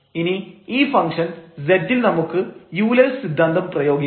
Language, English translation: Malayalam, So, this is a homogeneous function of order 2 and then we can apply the Euler’s theorem on this function z